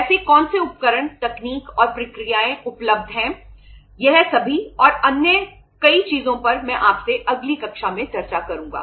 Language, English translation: Hindi, What are the tools, techniques, and processes available that all and many other things I will discuss with you in the next class